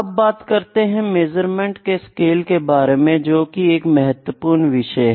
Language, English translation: Hindi, Next is, the scales of measurement scales of measurement of very important